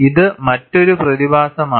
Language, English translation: Malayalam, This is another phenomena